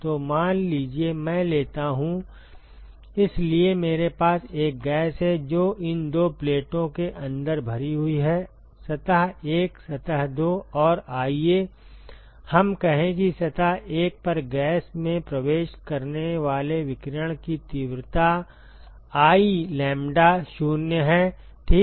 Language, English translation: Hindi, So, suppose I take; so I have a gas, which is filled inside these two plates: surface 1, surface 2 and let us say the intensity of radiation that enters the gas at surface 1 is I lambda0 ok